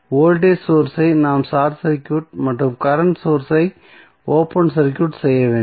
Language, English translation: Tamil, We have to short circuit the voltage source and open circuit the current source